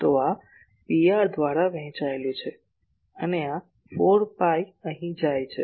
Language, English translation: Gujarati, So, this is divided by P r and this 4 phi goes here